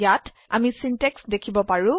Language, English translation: Assamese, We can see the syntax here